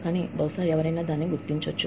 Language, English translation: Telugu, But, maybe, somebody will recognize it